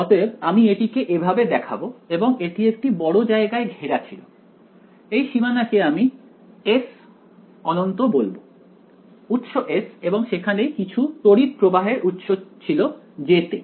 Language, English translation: Bengali, So, I will indicate it like this and this was surrounded in a bigger region I call this boundary S infinity the source S and there was some current source over here J